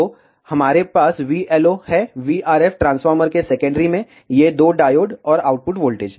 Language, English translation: Hindi, So, we have a v LO, the v RF at the secondary of the transformer, these two diodes, and output voltage